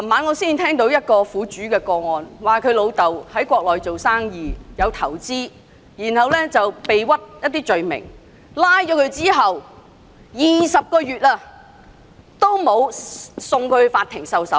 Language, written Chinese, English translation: Cantonese, 我昨晚聽到一個苦主的個案，他父親在國內經商投資時遭人誣告，被捕20個月後一直未有送交法庭受審。, Last night I heard of a case in which the victims father was framed when doing business in the Mainland . Twenty months after his arrest he was given neither a trial nor the necessary care even though he was known to have health problems